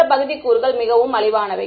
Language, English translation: Tamil, The other part is that the components are very cheap